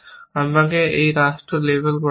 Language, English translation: Bengali, Let me label these states